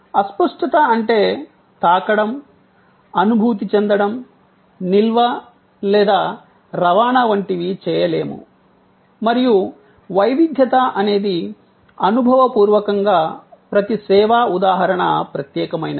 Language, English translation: Telugu, Intangibility is about not being able to touch, feel, no storage or transport and heterogeneity is that the experientially each service instance is unique